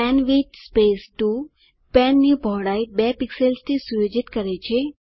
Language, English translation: Gujarati, penwidth 2 sets the width of pen to 2 pixels